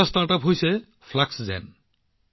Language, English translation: Assamese, There is a StartUp Fluxgen